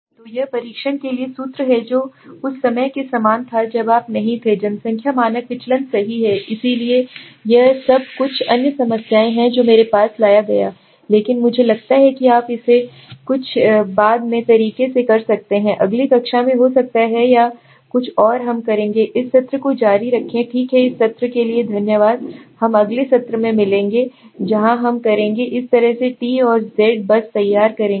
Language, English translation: Hindi, So this is the formula for a t test which is like which was similar to the one when you did not have the population standard deviation right so this is all this are the some other problems I have brought but I think you can do it later on right so may be in next class or something we will continue this session okay thanks for this session we will meet in the next session where we will continue with the way the t and z will just formulate